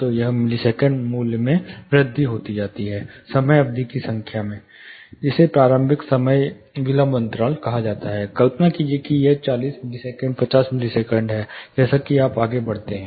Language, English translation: Hindi, So, it is the number of amount of, you know the millisecond value increases the number of time duration; that is what is called initial time delay gap; say imagine it is say forty millisecond 50 millisecond as you go further